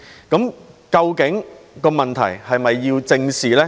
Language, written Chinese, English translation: Cantonese, 究竟這問題是否要得到正視呢？, Does this issue need to be addressed squarely?